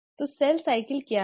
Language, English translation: Hindi, So what is cell cycle